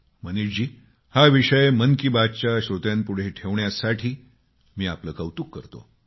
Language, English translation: Marathi, Manishji, I appreciate you for bringing this subject among the listeners of Mann Ki Baat